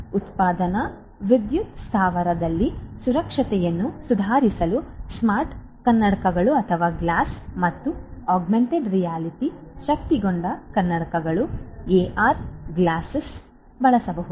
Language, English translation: Kannada, So, smart glasses and augmented reality enabled glasses AR glasses could be used to improve the safety and security in a manufacturing power plant